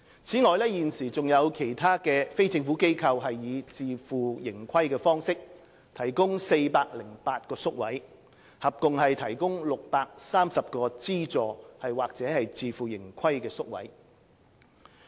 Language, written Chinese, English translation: Cantonese, 此外，現時還有其他非政府機構以自負盈虧方式提供408個宿位，合共提供630個資助或自負盈虧宿位。, Taking into account 408 places provided by NGOs on a self - financing basis at present there are a total number of 630 subvented or self - financing places